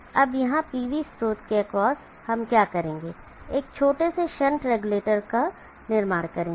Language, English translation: Hindi, Now here across the PV source what we will do is build a small shunt regulator